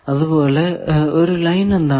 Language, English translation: Malayalam, Similarly, what is a Line